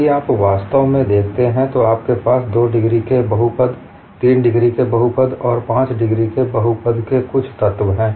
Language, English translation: Hindi, If you really look at, you have certain elements of polynomial of degree 2, polynomial of degree 3, and polynomial of degree 5